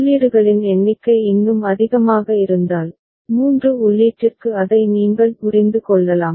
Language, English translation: Tamil, And if the number of inputs even is more so, you can understand that for 3 input